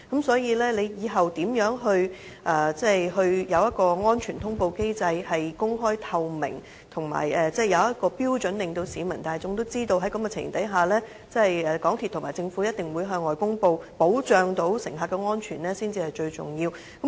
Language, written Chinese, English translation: Cantonese, 所以，政府未來所制訂的安全通報機制，必須公開透明及設定標準，可以令市民大眾知道在何種情形下，港鐵公司和政府一定會向外公布，保障乘客的安全，這才是最重要的。, Hence the most important thing is that the future safety reporting mechanism should be an open and transparent system . It should set out the criteria to let the public know under what circumstances MTRCL and the Government must make public reporting to ensure the safety of the travelling public